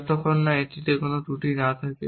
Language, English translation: Bengali, So, it should have no flaws